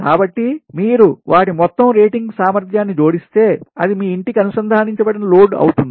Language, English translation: Telugu, so if you add their total rated capacity, then that will be the, the connected load of your home, right